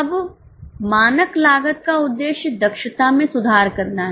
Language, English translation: Hindi, Now, the purpose of standard costing is to improve efficiency